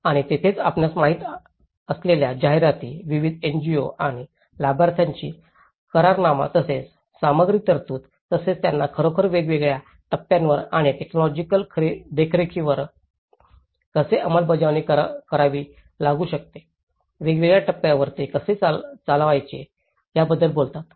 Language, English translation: Marathi, And this is where they talk about the promotions you know, agreements with various NGOs and beneficiaries and as well as the provision of materials as well as how they have to really implement at different stages and technical supervision, how it has to conduct at different stages